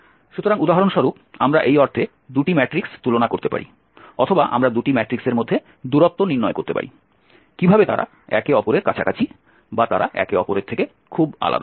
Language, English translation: Bengali, So we can for example compare 2 matrices in this sense or we can find the distance between the two matrix how whether they are close to each other or they are very different from each other